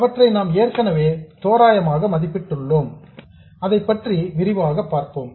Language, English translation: Tamil, We have already evaluated them roughly but we will see that in detail